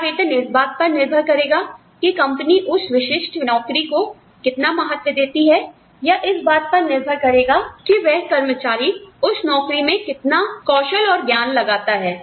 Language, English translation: Hindi, Will compensation be based on, how the company values a particular job, or, will it be based on, how much skill and knowledge, an employee brings to that job